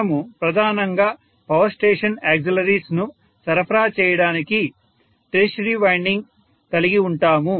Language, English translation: Telugu, We tend to have a tertiary winding mainly to supply the power station auxiliaries